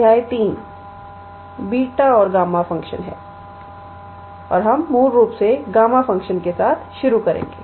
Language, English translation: Hindi, Chapter 3 is Beta and Gamma function; beta and gamma function and we will basically start with gamma functions